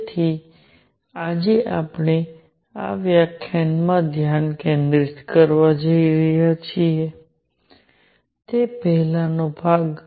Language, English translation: Gujarati, So, what we are going to focus today in this lecture on is the first part